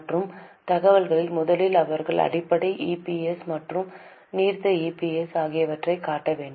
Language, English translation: Tamil, In the other information first they have to show basic EPS and diluted EPS